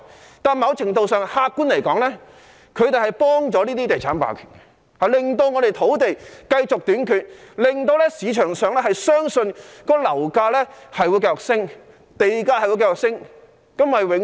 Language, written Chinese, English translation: Cantonese, 不過，某程度上，客觀而言，他們幫助了這些地產霸權，令香港土地繼續短缺，令市場相信樓價會繼續上升，地價會繼續上升。, Yet objectively in some measure they are helping the real estate hegemony by keeping land in short supply in Hong Kong and making the market believe that property prices and land prices will continue to rise